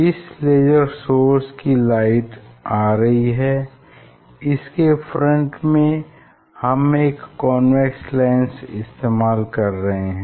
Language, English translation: Hindi, we have a source say laser source, now from laser source light is coming and we are using a convex lens